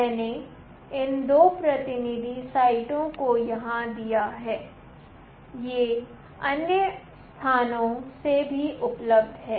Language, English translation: Hindi, I have given these 2 representative site here, these are available from other places also